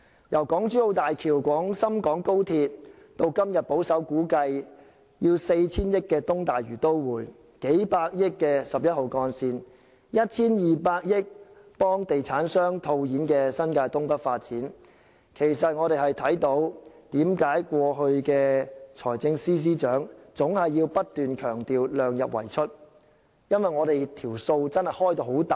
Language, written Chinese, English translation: Cantonese, 由港珠澳大橋、廣深港高鐵，到今日保守估計 4,000 億元的東大嶼都會、數百億元的11號幹線、1,200 億元幫地產商套現的新界東北發展等，其實我們明白為何財政司司長過去總要不斷強調"量入為出"，因為開支龐大。, The examples the Hong Kong - Zhuhai - Macao Bridge the Guangzhou - Shenzhen - Hong Kong Express Rail Link the East Lantau Metropolis that costs some 400 billion based on a conservative estimate today Route 11 that costs several ten billion dollars and the North East New Territories development that costs some 120 billion and facilitates cashing out by developers we actually understand why the Financial Secretary kept reiterating keeping expenditure within the limits of revenues in the past . The reason is that huge sums of expenditure are involved